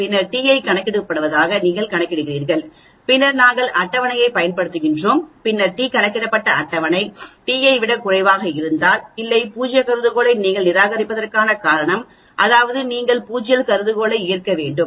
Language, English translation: Tamil, Then you calculate t from this that is called t calculated then we use the table t and then if the t calculated is less than the table t, there is no reason for you to reject null hypothesis that means you have to accept null hypothesis